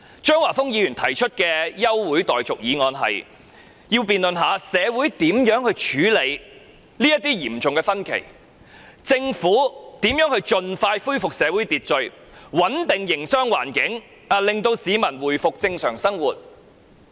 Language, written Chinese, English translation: Cantonese, 張華峰議員提出這項休會待續議案，要求本會辯論如何處理社會上的嚴重分歧、政府如何盡快恢復社會秩序、穩定營商環境，讓市民回復正常生活。, Mr Christopher CHEUNG proposed this adjournment motion asking the Council to debate on the serious disagreement in society how the Government can restore social order stabilize the business environment so that peoples life can return to normal as soon as possible